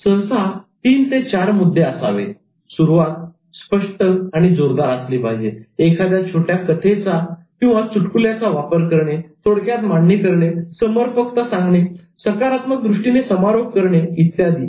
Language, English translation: Marathi, So usually it should be three or four points, starting strongly and clearly, making use of anecdotes, summarizing briefly, making it relevant, ending with a positive note